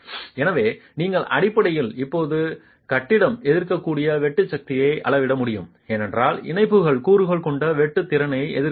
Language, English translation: Tamil, So, you basically have to now scale down the sheer force that the building will be able to resist because the connections are not able to resist the sheer capacity that the components have